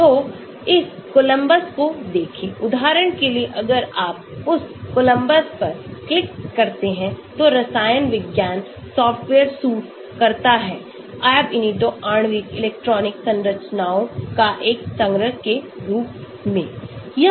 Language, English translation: Hindi, So, look at this Columbus, as for example if you click on that Columbus, the computational chemistry software suit for calculating Ab initio molecular electronic structures designed as a collection of individual